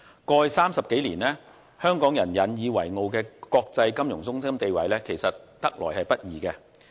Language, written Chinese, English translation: Cantonese, 過去30多年，香港人引以為傲的國際金融中心地位其實是得來不易的。, For 30 years or so we Hong Kong people have been proud of our status as an international financial centre and this is actually a hard - earned reputation